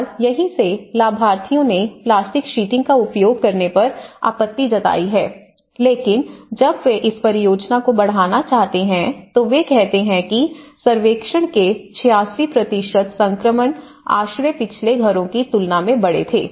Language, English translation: Hindi, And that is where the beneficiaries have objected to use the plastic sheeting but when they want to scale up this project that is where they say that 86% of the survey, they have said that the transition shelters were larger than the previous houses